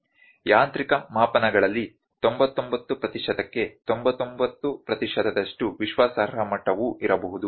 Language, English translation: Kannada, In mechanical measurements 99 per 99 percent confidence level could also be there